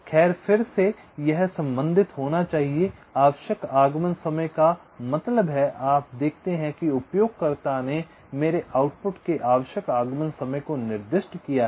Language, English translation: Hindi, required arrival time means, you see, the user have specified the required arrival time of my output